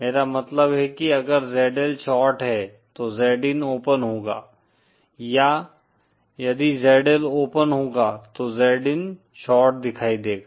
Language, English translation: Hindi, What I mean is if ZL is the short then Z in will appear to be as an open or if ZL is an open then Z in will appear to be a short